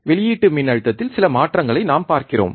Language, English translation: Tamil, We are looking at some change in the output voltage